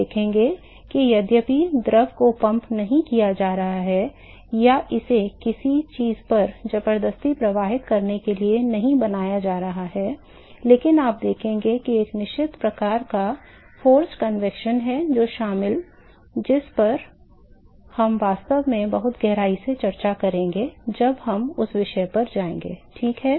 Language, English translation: Hindi, So, we will see that although the fluid is not being pumped or it is not being forcefully made to flow over something, that you will see that there is a certain type of forced convection which is involved and we are actually discussed very deeply when we go to that topic ok